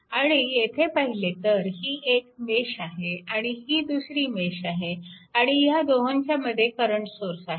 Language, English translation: Marathi, And if you look into that, then this is mesh and this is 1 mesh and in between 2 mesh 1 current source is there right